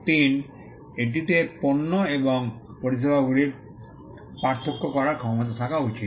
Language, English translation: Bengali, 3, it should have the capacity to distinguish goods and services